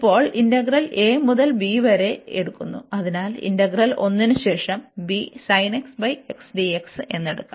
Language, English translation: Malayalam, So, now we take this integral here a to b, so note that the integral one and then above one we can take this b is sin x over x dx